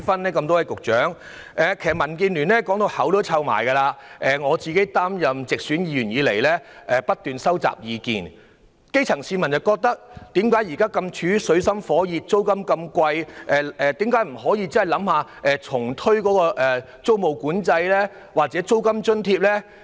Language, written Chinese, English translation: Cantonese, 民建聯已說過很多次，而我自擔任直選議員以來亦不斷收集意見，既然基層市民現正處於水深火熱，又面對高昂的租金，為何政府不考慮重新推出租務管制或提供租金津貼？, Since the grass roots are in dire straits and have to face high rental why does the Government not consider reintroducing tenancy control or providing rental allowance? . Not only has DAB mentioned this point time and again I have also collected lots of views since I became a directly elected Member